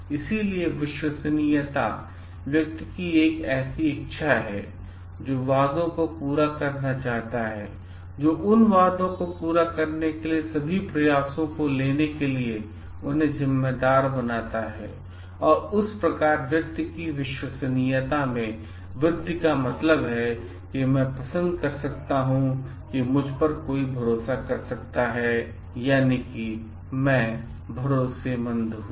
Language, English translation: Hindi, So, reliability is an individuals desire to fulfil the promises and which makes them responsible to take all the efforts to fulfil those promises and which thus enhances the reliability of the person means I can like someone can rely on me, I am trustworthy